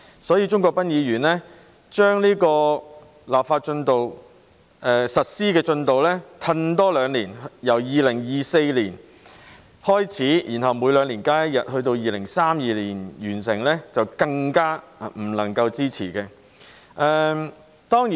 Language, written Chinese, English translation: Cantonese, 因此，鍾國斌議員把實施進度再延後兩年，由2024年開始，然後每兩年增加一天假期，到2032年完成，就更不能夠支持。, Thus Mr CHUNG Kwok - pans proposal which seeks to further delay the implementation progress by two more years so that starting from 2024 there will be an additional holiday every two years until completion in 2032 is even less worthy of support